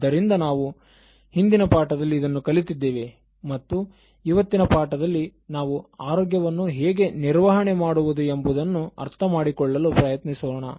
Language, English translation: Kannada, So that is what we learnt in the last lesson and in this lesson, we will try to know and understand how we can manage health